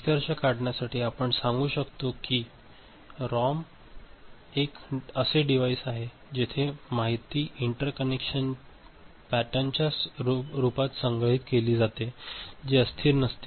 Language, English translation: Marathi, Quickly to conclude ROM is a device where information is stored in the form of interconnection pattern which is non volatile